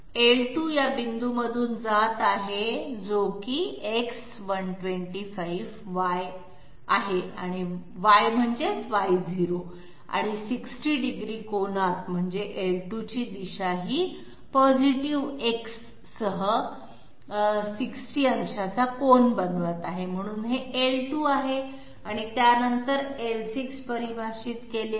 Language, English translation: Marathi, L2 is passing through this point, which is X125Y, Y means Y0 and at angle 60 that means the positive direction of L2 will be making an angle of 60 degree with the positive X, so this is L2 and after that L6 is defined